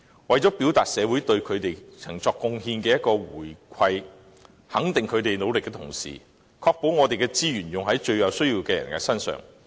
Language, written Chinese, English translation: Cantonese, 社會既要對他們的貢獻作出回饋，肯定他們的努力，同時亦須確保我們的資源用於最有需要的人身上。, The society ought to repay their contributions and recognize their efforts on the one hand and ensure that our resources are spent on the neediest people on the other